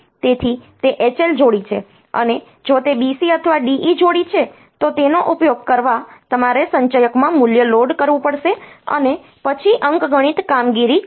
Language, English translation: Gujarati, So, it is the H L pair, and if it is B C or D E pair then you have to use the you have to load the value into the accumulator, and then do the arithmetic operation